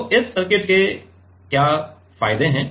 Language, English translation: Hindi, So, what are the advantages of this circuit